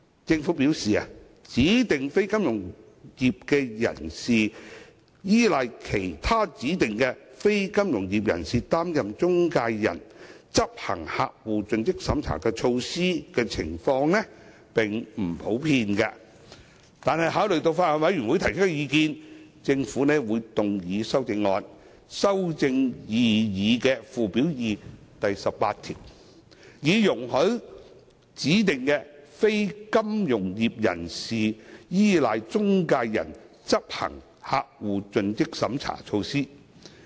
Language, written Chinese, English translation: Cantonese, 政府表示，指定非金融業人士依賴其他指定非金融業人士擔任中介人執行客戶盡職審查措施的情況並不普遍，但考慮到法案委員會提出的意見，政府會動議修正案修訂擬議的附表2第18條，以容許指定非金融業人士依賴中介人執行客戶盡職審查措施。, The Government has advised that it is not common for DNFBPs to rely on other DNFBPs as intermediaries to carry out CDD measures on their behalf . Nonetheless having regard to the views raised by the Bills Committee the Government will move CSAs to amend the proposed section 18 in Schedule 2 to allow DNFBPs to rely on intermediaries to carry out CDD measures